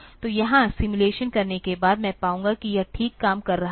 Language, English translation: Hindi, So, here after doing the simulation I will find, it is fine it is working fine